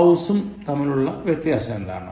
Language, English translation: Malayalam, What is the difference between house and home